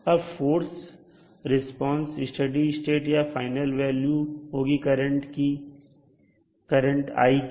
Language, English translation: Hindi, Now forced response is the steady state or the final value of i